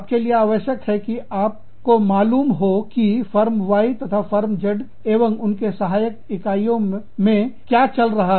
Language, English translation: Hindi, And, you will need to compete with, Firm Y, and Z, and their subsidiaries